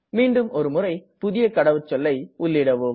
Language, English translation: Tamil, Please type the new password again